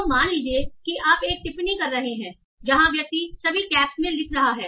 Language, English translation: Hindi, So suppose you are having a comment where the person is writing in all caps